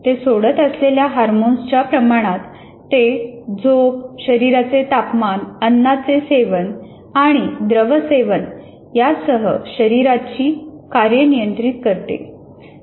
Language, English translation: Marathi, By the amount of hormones it releases, it moderates the body functions including sleep, body temperature, food intake and liquid intake